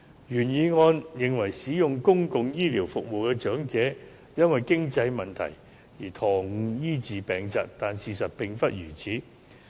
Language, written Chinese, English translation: Cantonese, 原議案認為，使用公共醫療服務的長者會"因為經濟問題延誤醫治疾病"，但事實並非如此。, The original motion thinks that elderly public health care users will delay disease treatment due to financial problems . But the fact is not like this